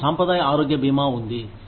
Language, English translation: Telugu, We have traditional health insurance, which is provided by an insurance company